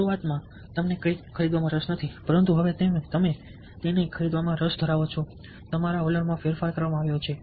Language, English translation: Gujarati, initially you are not interested to buy something, now you are interested to buy it